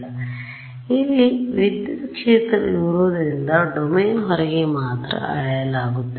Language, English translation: Kannada, So, I have this electric field that is measured only outside the domain